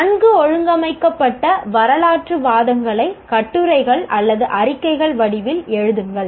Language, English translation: Tamil, Write well organized historical arguments in the form of essays or reports